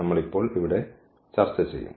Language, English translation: Malayalam, We will discuss here now